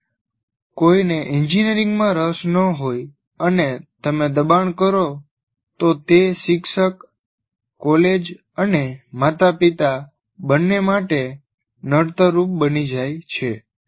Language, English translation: Gujarati, So when somebody is not interested in engineering and you push through him, he becomes a liability, both to the teacher and the college and to the parents